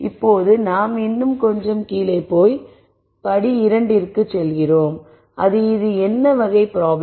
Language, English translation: Tamil, Now we drill down a little more and we go on to step 2 which is what type of problem is this